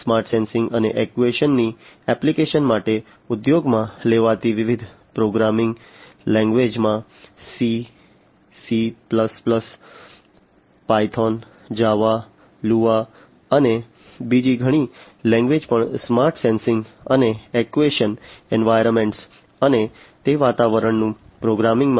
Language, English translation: Gujarati, The different programming languages that are used for applications of smart sensing and actuation are C, C plus plus, Python, Java, Lua, and many other languages are also coming up in the recent years for use in the smart sensing and actuation environments and programming those environments